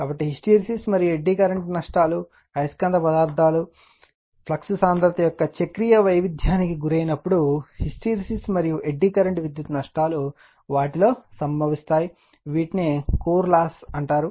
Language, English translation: Telugu, So, hysteresis and eddy current losses, when magnetic materials undergoes cyclic variation of flux density right, hysteresis and eddy current power losses occur in them, which are together known as core loss